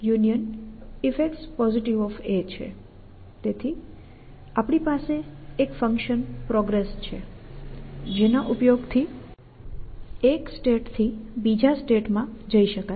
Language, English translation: Gujarati, So, we have a progress function which allows it a move from one states to next state essentially